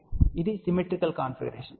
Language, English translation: Telugu, So, this is a symmetrical configuration